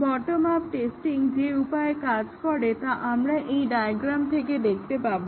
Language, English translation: Bengali, The way the bottom up testing works can be seen from this diagram